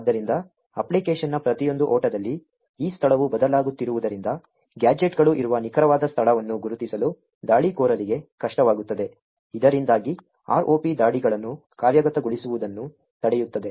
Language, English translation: Kannada, So, since this location are changing in every run of the application, it would be difficult for the attacker to identify the exact location where the gadgets are going to be present, thereby preventing the ROP attacks from executing